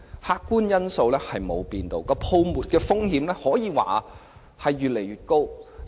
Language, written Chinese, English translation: Cantonese, 客觀因素沒有改變，泡沫風險可說越來越高。, While the objective factors remain the same the risk of a bubble continues to heighten